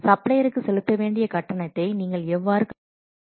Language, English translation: Tamil, How you are calculating the payment that has to make to the supplier